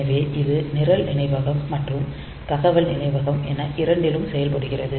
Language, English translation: Tamil, So, it acts both as program memory and data memory